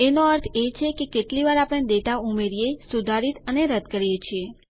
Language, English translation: Gujarati, Meaning how often we add, update or delete data